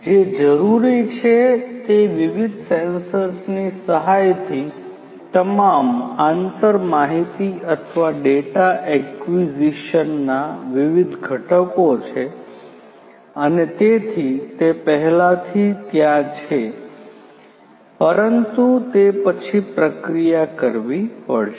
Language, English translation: Gujarati, What is required are different components first of all inter information or data acquisition through the help of different sensors and so on which is already there , but after that the processing has to be done